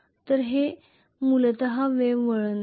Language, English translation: Marathi, So this is essentially wave winding